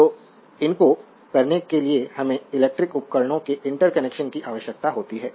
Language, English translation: Hindi, So, to do these we require in interconnections of electrical devices right